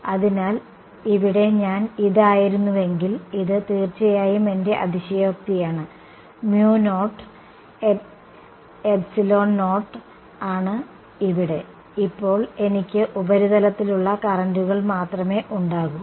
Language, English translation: Malayalam, So, if I were to this was my one more here right this is my exaggerated of course, mu naught epsilon naught over here, now I am going to have only currents on the surface right